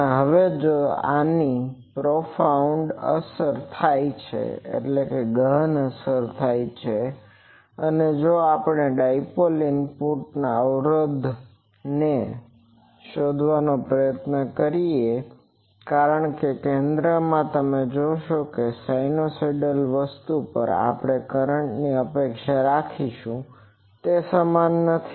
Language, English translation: Gujarati, And, now if this is have a profound impact, if we try to find out the input impedance of the dipole, because at the center you see that by sinusoidal thing whatever we will expect the current that is not same